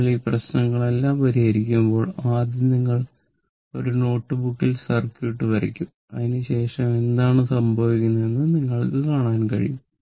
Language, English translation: Malayalam, When you will solve this problem know all this problem when you will see this, first you will draw the circuit on your notebook after that you see what is happening right